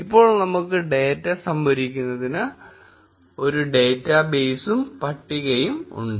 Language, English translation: Malayalam, Now, we have a data base and a table ready to store the data